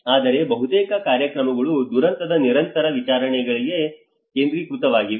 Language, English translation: Kannada, But the most visible programs are mostly focused on after the disaster